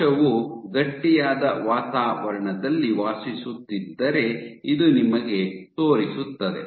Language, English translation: Kannada, So, this shows you that if a cell resides in an environment which is stiff